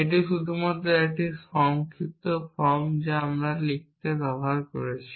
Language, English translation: Bengali, It is just a short form that we have used to write in